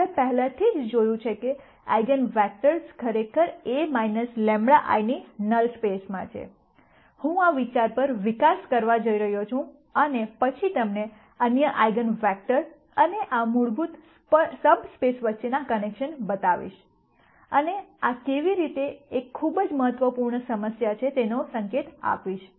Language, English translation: Gujarati, We already saw that the eigenvectors are actually in the null space of A minus lambda I, I am going to develop on this idea and then show you other connections between eigenvectors and these fundamental subspaces, and I will also allude to how this is a very important problem; that is used in a number of data science algorithms